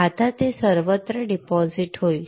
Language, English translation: Marathi, Now it will deposit everywhere